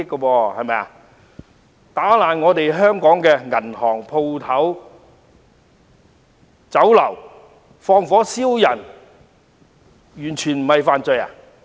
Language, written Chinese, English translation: Cantonese, 他們毀壞香港的銀行、店鋪和酒樓，又縱火傷人，這些不是罪行嗎？, They vandalized banks shops and Chinese restaurants in Hong Kong and set people on fire . Are these not crimes?